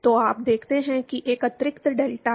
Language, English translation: Hindi, So, you see there is an extra delta